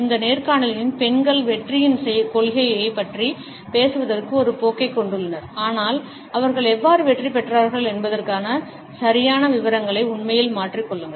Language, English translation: Tamil, In this interviews women have a tendency to talk about principles of success, but really do variable the exact details of how they succeeded